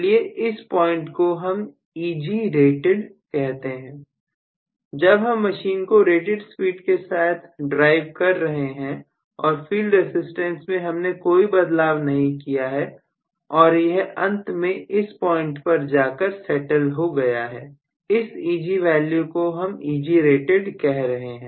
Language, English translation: Hindi, So, let me call this as Egrated when I am driving the machine at rated speed and it have gone on with inherent field resistance and it has finally settled at the point which is corresponding to some value Eg which I call as Egrated